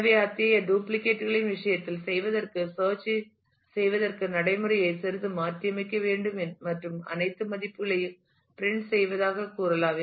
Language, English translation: Tamil, So, for doing in the case of such duplicates will have to a little bit modify the procedure for doing the search and say printing all values and so, on